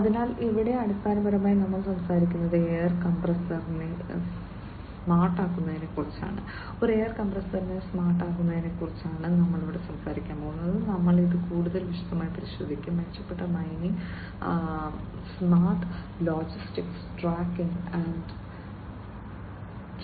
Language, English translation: Malayalam, So, here basically it is a air compressor that we are talking about making it smart, making a air compressor smart and so on so, we will look at it in further more detail, improved mining, smart logistics, and tracking and tracing